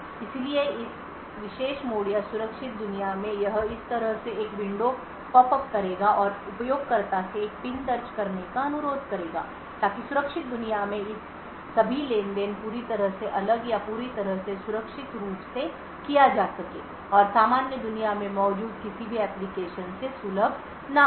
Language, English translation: Hindi, So in this particular mode or the secure world it would pop up a window like this and request the user to enter a PIN so all of this transactions in the secure world is completely isolated or completely done securely and not accessible from any of the applications present in the normal world